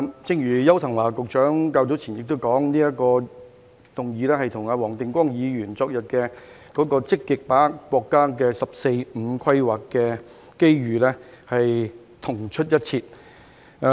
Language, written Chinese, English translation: Cantonese, 正如邱騰華局長較早前也說，這項議案與黃定光議員昨天的積極把握國家"十四五"規劃的機遇議案同出一轍。, As Secretary Edward YAU has said earlier this motion and the motion proposed by Mr WONG Ting - kwong yesterday on actively seizing the opportunities of the National 14th Five - Year Plan are simply two sides of the same coin